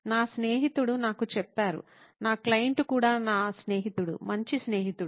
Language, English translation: Telugu, That’s what my friend told me, my client who is also my friend, good friend